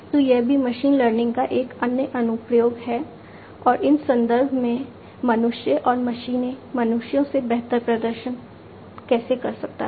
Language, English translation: Hindi, So, this is also another application of machine learning and how humans and machines can perform better than humans, in these contexts